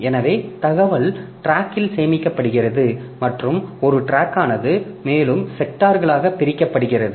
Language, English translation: Tamil, So, information is stored in the track and a track is further divided into sectors